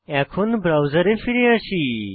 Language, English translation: Bengali, Now, come back to the browser